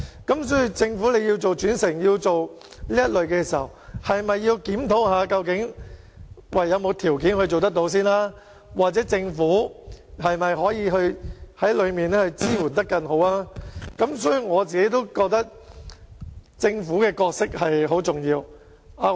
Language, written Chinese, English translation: Cantonese, 因此，政府如果要推動轉乘，是否應檢討究竟有沒有條件可以做到，又或政府是否可以提供更好的支援，所以，我認為政府在這方面擔當很重要的角色。, Hence if the Government hopes to promote interchange it should examine if the conditions allow or it should consider providing better support . I think the Government has a significant role to play in this aspect